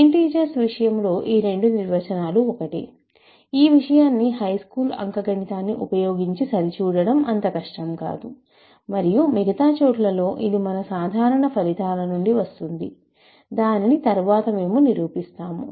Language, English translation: Telugu, In the case of integers, they both agree, which is not difficult to check using high school arithmetic and elsewhere it will follow from our general results that we will prove later